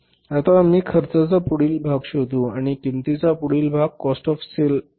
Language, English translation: Marathi, Now we will go to the finding out the next part of the cost and the next part of the cost is the cost of sales